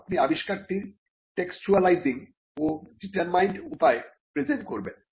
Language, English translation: Bengali, You are going to textualize the invention and present it in a determined manner